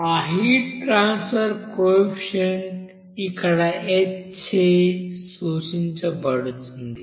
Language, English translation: Telugu, And that heat transfer coefficient is denoted by this h here